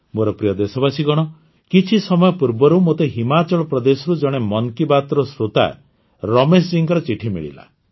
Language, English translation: Odia, My dear countrymen, sometime back, I received a letter from Ramesh ji, a listener of 'Mann Ki Baat' from Himachal Pradesh